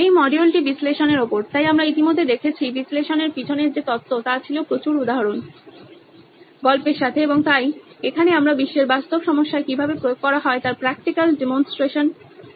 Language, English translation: Bengali, This module is on analyse, so we already saw what theory behind analyse was with lots of examples, stories and so here we are with the practical demonstration of how it is applied in a real world problem